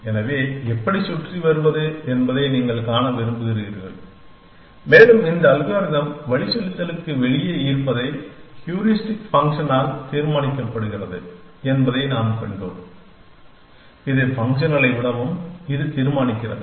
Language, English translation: Tamil, So, you want to see how to get around and we saw that that again which this algorithm is out of navigating is determine by the Heuristic function that actualities this determines also by the more than function